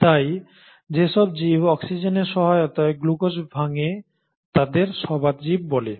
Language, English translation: Bengali, So, those organisms which break down glucose with the aid of oxygen are called as the aerobic organisms